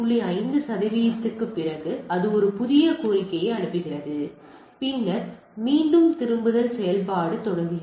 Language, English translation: Tamil, 5 percent it sends a fresh request, then again the rebinding operation goes on